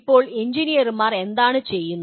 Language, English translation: Malayalam, That is what the engineers do